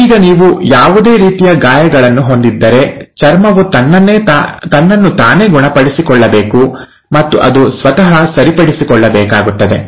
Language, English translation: Kannada, Now if you have any kind of wounds taking place, the skin has to heal itself and it has to repair itself